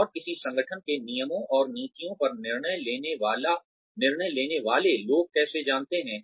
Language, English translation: Hindi, And, how do people, deciding on the rules and policies of an organization know